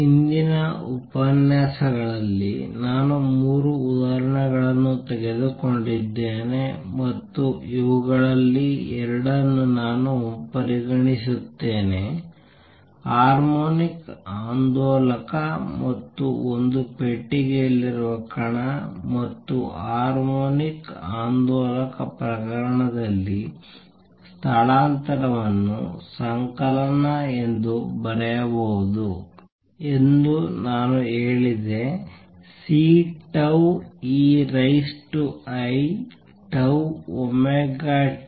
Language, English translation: Kannada, Recall, I took 3 examples in the previous lectures and I just consider 2 of these; the harmonic oscillator and the particle in a box and in the harmonic oscillator case, I said that the displacement can be written as summation C tau e raise to i tau omega t where omega is the basic frequency which is nu times 2 pi which was equal to 2 pi v over 2 L